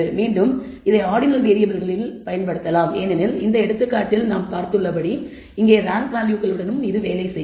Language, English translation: Tamil, Again this can be used for ordinal variables because it can work with ranked values here as we have seen in this example